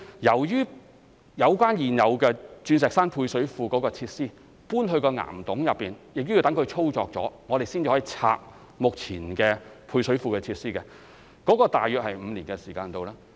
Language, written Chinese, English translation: Cantonese, 由於現有的鑽石山配水庫設施搬入岩洞內，需待其運作後，我們才能清拆目前的配水庫設施，這大約需時5年。, After the relocation of the existing Diamond Hill service reservoir facilities to caverns they have to become operational before we can demolish the existing service reservoir facilities and it will take about five years